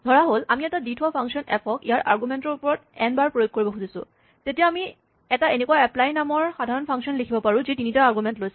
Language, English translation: Assamese, Suppose, we want to apply a given function f to its argument n times, then we can write a generic function like this called apply, which takes 3 arguments